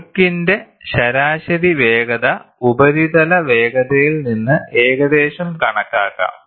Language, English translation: Malayalam, The average speed of flow can be calculated approximately from the surface speed